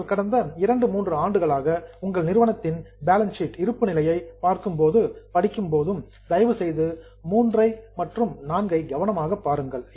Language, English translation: Tamil, Now, when you study your company's balance sheet for last two, three years, please try to look at item three and four carefully